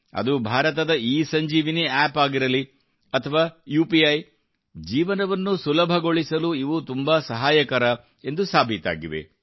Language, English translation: Kannada, Be it India's ESanjeevaniApp or UPI, these have proved to be very helpful in raising the Ease of Living